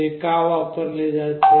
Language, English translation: Marathi, Why it is used